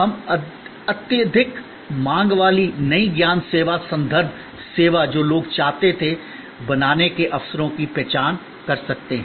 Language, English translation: Hindi, We could identify the opportunities of creating the highly demanded new knowledge service, referential service that people wanted